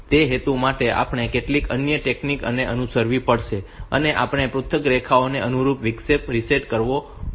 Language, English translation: Gujarati, For that purpose so we have to follow some other technique we have to set reset the interrupt corresponding to individual lines ok